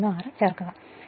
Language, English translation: Malayalam, That is 36